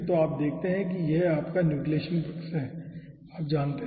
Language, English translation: Hindi, so you see, this is your nucleation side, you know ah